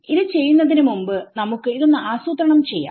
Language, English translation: Malayalam, So, before we do this let us just plan it ok